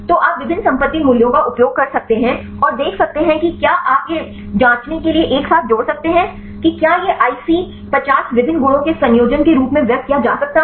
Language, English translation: Hindi, So, you can use different property values and see whether you can combine together to check whether this IC50 can be expressed in terms of the combination of different properties